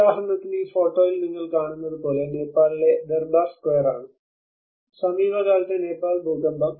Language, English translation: Malayalam, For instance, in this photograph what you are seeing is the Durbar square in the Nepal, the recent Nepal earthquake